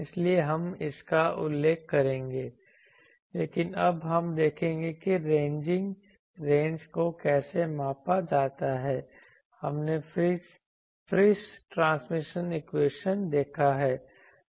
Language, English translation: Hindi, So, we will be referring to this, but now we will see that how the ranging ranges measured we have seen Friis transmission equation